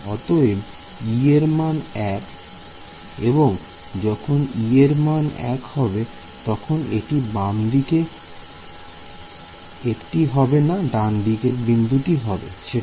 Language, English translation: Bengali, So, its e is equal to 1 and for e is equal to 1 that is this guy which is at the left or right node